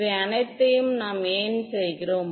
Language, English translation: Tamil, Why are we doing all of these